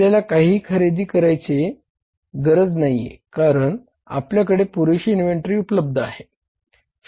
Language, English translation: Marathi, We don't want to purchase anything because we have enough inventory available with us